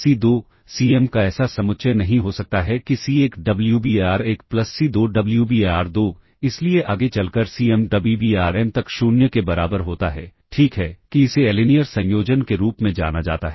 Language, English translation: Hindi, That is; there cannot be set of constant C1, C2, Cm such that C1 Wbar1 plus C2 Wbar2, so on so forth up to Cm Wbarm equals 0, all right, that this is known as a linear combination